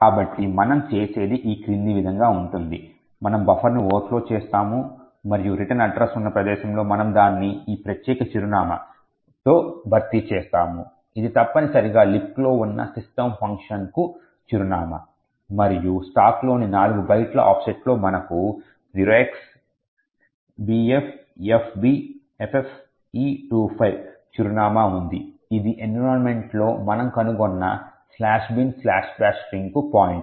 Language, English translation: Telugu, So what we do is as follows, we overflow the buffer and at the location where the return address was present we replace it with this particular address 0x28085260, which essentially is the address for the system function present in LibC and at an offset of 4 bytes on the stack we have the address bffbffe25 which essentially is the pointer to the slash bin slash bash string but we have found out in the environment